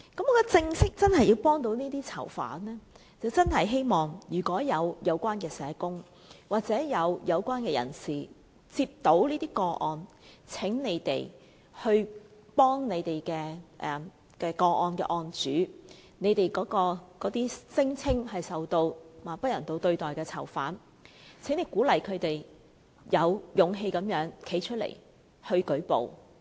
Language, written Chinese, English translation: Cantonese, 如果真的要幫助這些囚犯，我希望有關社工或有關人士接獲這些個案時，請他們幫助那些當事人、那些聲稱受不人道對待的囚犯，鼓勵他們有勇氣站出來舉報。, Should we truly wish to help these prisoners I hope social workers or other relevant persons can help the victims when they receive these cases and encourage those prisoners to come forward and report the alleged cases of inhuman treatment